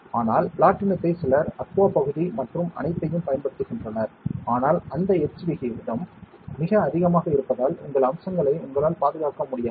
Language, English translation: Tamil, But platinum some people use aqua region and all, but that etch rate is extremely high you will not be able to preserve your features